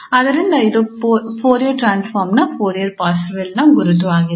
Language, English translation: Kannada, So, that was the Fourier Parseval's identity for the Fourier transform